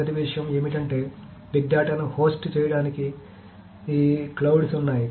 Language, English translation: Telugu, So the first thing is that hosting for hosting big data, there are these clouds